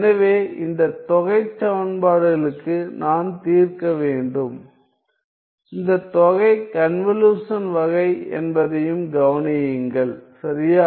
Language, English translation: Tamil, So, I need to solve for this integral equations; also notice that this integral is of convolution type right